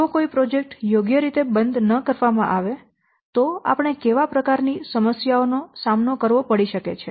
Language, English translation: Gujarati, If projects are not closed properly, what kind of problems we may face